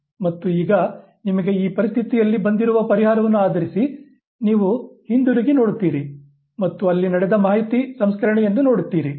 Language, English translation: Kannada, And now based on the solution that you have arrived in that very situation, you look back and you look at the information processing that has taken place